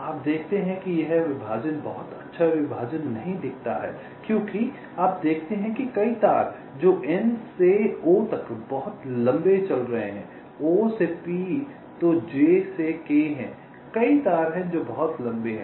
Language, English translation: Hindi, you see, this partition does not look to be a very good partition because you see there are several wires which are running pretty long: n to o, o to p, ok, there are then j to k